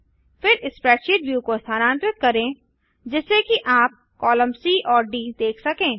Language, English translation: Hindi, Then move the spreadsheet view so you can see column C and D